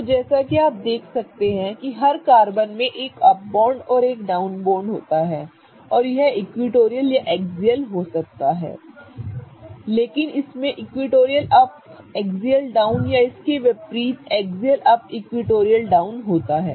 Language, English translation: Hindi, So, as you can see every carbon has an up bond and a down bond and it could be equatorial or axial but it has a combination of either equatorial up, axial down or axial up and vice versa